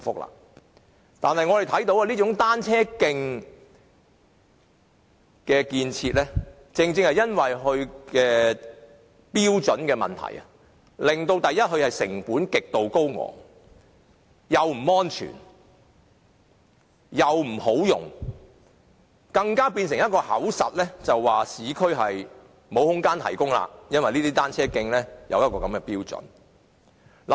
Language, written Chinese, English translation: Cantonese, 我們看到這種單車徑的設計，基於其標準的問題，令成本極度高昂，既不安全，亦不方便使用，更成為一種藉口，指市區沒有空間提供單車徑，因為單車徑設有這種標準。, As we can see the design of this kind of cycle tracks given the problem of standards has resulted in exorbitant costs . It is neither safe nor convenient for use . It even offers the excuse that there is a lack of space for the provision of cycle tracks in the urban areas because such standards have been set for cycle tracks